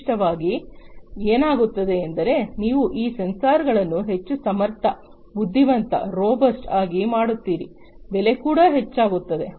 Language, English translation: Kannada, Typically, what happens is the more you make these sensors much more competent intelligent robust and so on the price also increases